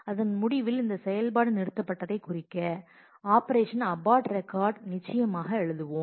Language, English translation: Tamil, At the end of that we will certainly write the operation abort record to show to mark that this operation has been aborted